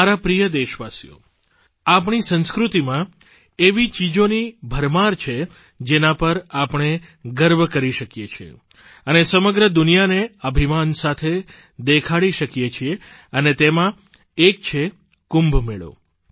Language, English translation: Gujarati, My dear countrymen, there is an abundance of events in our culture, of which we can be proud and display them in the entire world with pride and one of them is the Kumbh Mela